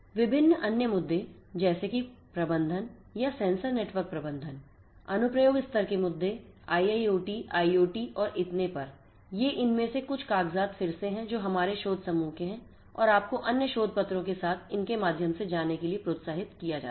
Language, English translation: Hindi, Different other issues such as the issues of management or sensor network management application level issues IIoT, IoT and so on, these are some of these papers again that belong to our research group and you are encouraged to go through them along with the other research papers that I have listed over here in these two slides